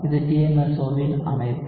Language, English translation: Tamil, This is the structure of DMSO